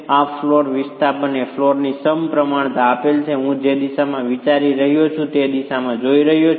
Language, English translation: Gujarati, The displacement of this flow given the symmetry of the floor that I am looking at in the direction that is being considered